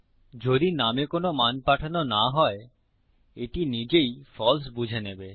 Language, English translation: Bengali, If theres no value sent to name this will automatically assume as false